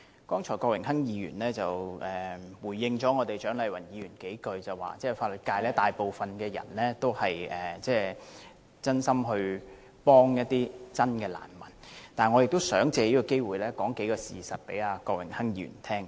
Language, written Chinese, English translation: Cantonese, 郭榮鏗議員剛才約略回應了蔣麗芸議員，說大部分法律界人士都是真心協助真正的難民，但我也想藉此機會，告訴郭榮鏗議員一些事實。, Mr Dennis KWOK has briefly responded to the views expressed by Dr CHIANG Lai - wan and said that most of the practitioners in the legal profession are sincere in rendering assistance to genuine refugees . But I would also like to take this opportunity to reveal some facts to Mr Dennis KWOK